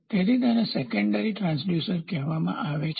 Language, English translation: Gujarati, So, what is the secondary transducer